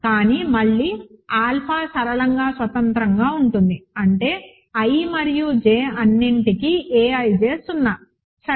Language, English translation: Telugu, But again alpha is the linearly independent so; that means, a ij is 0 for all i and j, ok